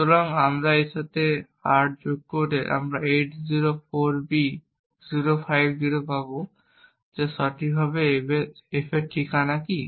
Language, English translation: Bengali, So if we add 8 to this, we will get 804B050 which precisely is what is the address of f